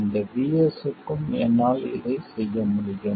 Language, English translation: Tamil, I can do this for any VS, right